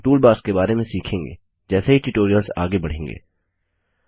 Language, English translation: Hindi, We will learn more about the toolbars as the tutorials progress